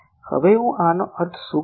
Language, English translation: Gujarati, Now what do I mean by this